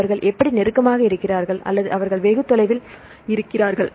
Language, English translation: Tamil, So, how whether they are close or they are far